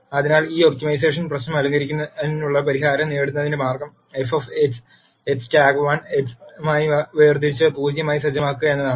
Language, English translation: Malayalam, So, the way to get the solution to deck this optimization problem, is to take f of x differentiate it with respect to x and set it to 0